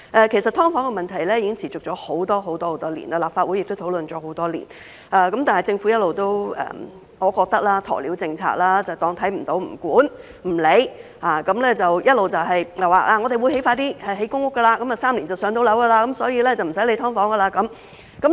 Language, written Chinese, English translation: Cantonese, 其實"劏房"問題已經持續了很多年，立法會亦討論了很多年，但我認為政府一直採取鴕鳥政策，看不到、不管、不理，而且一直表示會盡快興建公屋 ，3 年便能"上樓"，所以不用理會"劏房"。, In fact the problem of subdivided units SDUs has persisted for many years and it has also been discussed in the Legislative Council for many years . But I think the Government has been adopting an ostrich policy of not seeing not caring and not paying attention . The Government has also been saying that public housing will be constructed as soon as possible and a target of three - year waiting time for public rental housing PRH has been set so there is no need for it to bother about SDUs